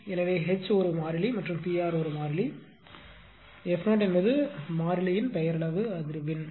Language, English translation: Tamil, So, H is a constant and P r is a constant f 0 is the nominal frequency on the variable is delta f